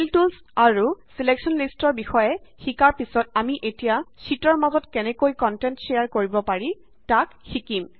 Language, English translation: Assamese, After learning about the Fill tools and Selection lists we will now learn how to share content between sheets